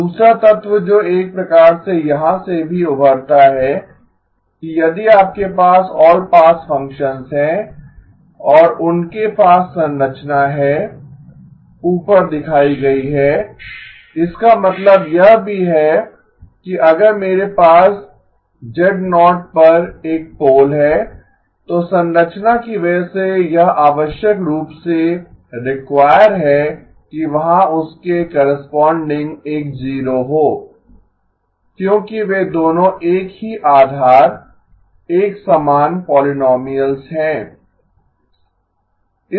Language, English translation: Hindi, The other element which is also sort of emerges from here that if you have all pass functions and they have the structure shown above, this also means that if I have a pole at z0 okay pole at z0 then this necessarily requires because of the structure there will be a 0 corresponding to because they are both of the same base same polynomial